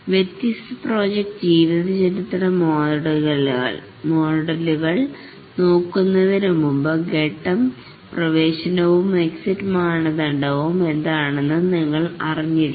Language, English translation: Malayalam, Before we look at the different project lifecycle models, we must know what is the phase entry and exit criteria